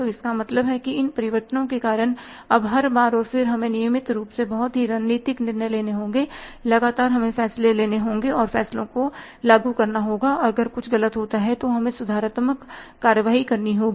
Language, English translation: Hindi, So, it means because of these changes now every now and then we will have to take very very strategic decisions regularly, continuously we have to take decisions and implement the decisions and if anything goes wrong we have to take the corrective actions